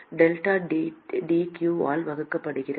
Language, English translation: Tamil, Delta T divided by q